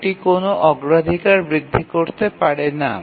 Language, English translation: Bengali, Cannot really increase the priority